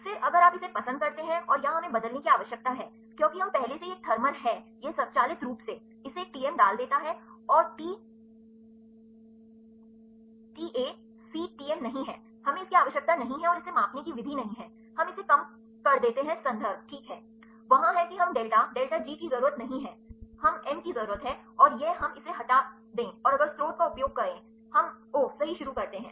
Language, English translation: Hindi, Then if you do like this and here we need to change because, we already it is a thermal it automatically it a put the Tm and the T is not Ta C Tm, we do not need and measure method, we reduce it reversibility is yes is the reference fine, there is m we do not need delta delta G, we need and this we remove it and, if use source we take start oh right